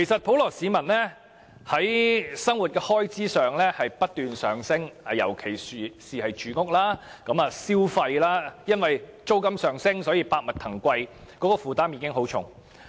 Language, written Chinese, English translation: Cantonese, 普羅市民的生活開支不斷上升，尤其是住屋和消費物價，租金上升導致百物騰貴，所以他們的負擔都很沉重。, Members of the public are facing a rising cost of living especially in housing and consumer prices and the increase in rental has resulted in inflated prices of commodities and a heavier burden on the general public